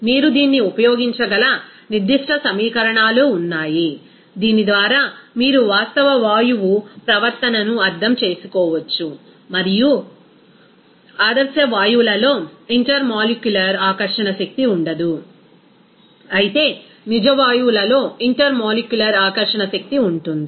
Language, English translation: Telugu, There will be certain equations where you can use this that real gas behavior by which you can interpret that real gas behavior, and in ideal gases, you will see that no intermolecular attraction force will be there, whereas in real gases that intermolecular attraction force will be there